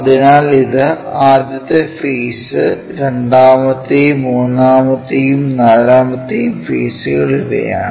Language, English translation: Malayalam, So, this is the first face, second one and third and forth faces